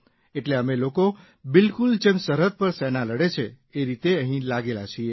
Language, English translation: Gujarati, So, we are engaged in exactly the same way just like the army battles on the border